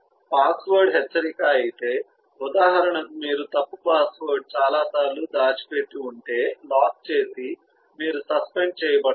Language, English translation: Telugu, if the password alert for example, if you have hidden the wrong password for a number of times then to lock and you get in turn suspended